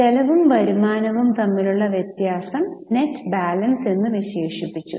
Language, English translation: Malayalam, The difference between income and expense was termed as a net balance